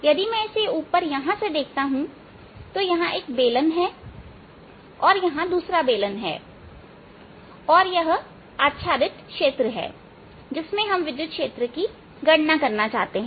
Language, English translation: Hindi, if i look at it from the top, here is one cylinder and here is the other cylinder, and it is in this overlapping region that we wish to calculate the electric field